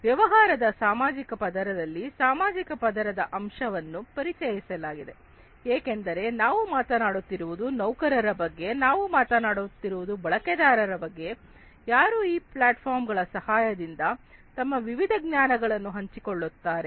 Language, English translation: Kannada, There is a social layer component that is introduced in the business social layer; because we are talking about employees we are talking about users who will share their different knowledges with the help of these platforms